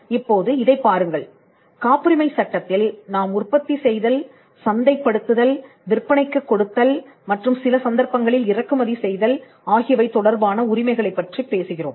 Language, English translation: Tamil, In patent law we are talking about rights relating to manufacture marketing sale and in some cases importation